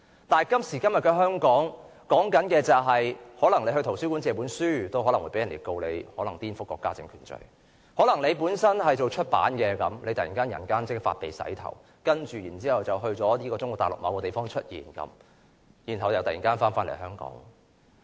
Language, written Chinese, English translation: Cantonese, 但是，今時今日的香港，可能在圖書館借書都會被告顛覆國家政權的罪名；可能有從事出版行業的人突然人間蒸發，然後在中國大陸某地方出現，接着又突然回港。, Yet in present - day Hong Kong even a person borrowing a library book may be charged for subversion of state power; people in the publishing trade may vanish into thin air reappear later somewhere in Mainland China and then return to Hong Kong all of a sudden